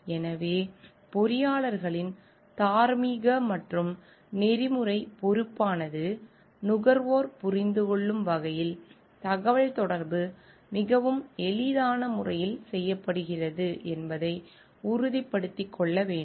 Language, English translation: Tamil, So, it is the moral and ethical responsibility of the engineers to be sure that the communication is made in a very easy way for the understanding of the consumers